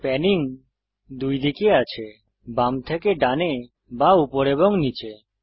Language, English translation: Bengali, Panning is in 2 directions – left to right or up and down